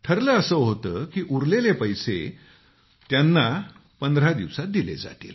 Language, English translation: Marathi, It had been decided that the outstanding amount would be cleared in fifteen days